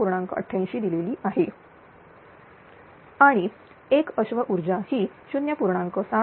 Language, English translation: Marathi, 88 and one horse power is equal to 0